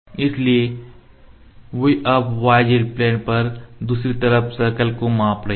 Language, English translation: Hindi, So, they are now measuring the circle on other side on the y z plane